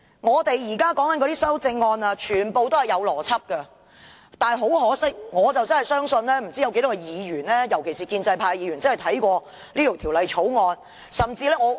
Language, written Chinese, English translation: Cantonese, 我們現在討論的修正案全部也有邏輯，但很可惜，我不知道有多少議員尤其是建制派議員真的有看過這項《條例草案》。, The amendments under discussion are all logical . But much to our regret I wonder how many Members especially the pro - establishment Members have really read the Bill